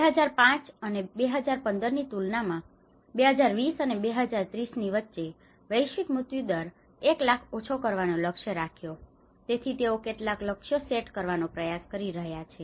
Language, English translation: Gujarati, Aiming to lower average per 1 lakh global mortality between 2020 and 2030 compared to 5 and 15 so they are trying to set up some targets